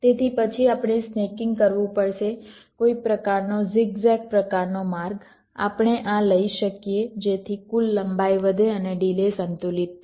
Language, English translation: Gujarati, so then we may have to do something called snaking, some kind of zig zag kind of a path we may take so that the total length increases and the delay gets balanced